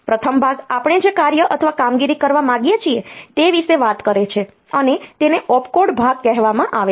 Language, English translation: Gujarati, The first part talks about the task or operation that we want to perform, and this is called the opcode part